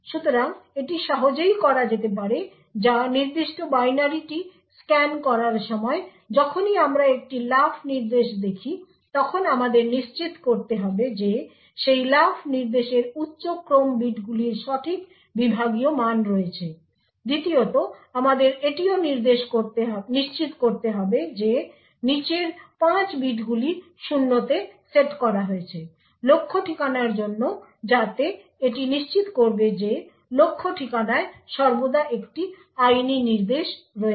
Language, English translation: Bengali, So this can be easily done or while scanning the particular binary every time we see a jump instruction we should need to ensure that the higher order bits of that jump instruction have the correct segment value secondly we need to also ensure that the lower 5 bits are set to 0 for the target address so this will ensure that the destination target address always contains a legal instruction